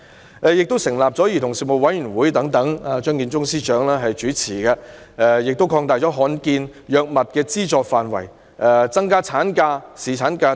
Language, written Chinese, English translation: Cantonese, 此外，她成立了由張建宗司長主持的兒童事務委員會、擴大罕見藥物的資助範圍、增加產假和侍產假等。, Moreover she set up the Commission on Children chaired by Chief Secretary for Administration Matthew CHEUNG expanded the scope of subsidies for drugs for rare diseases increased maternity leave and paternity leave etc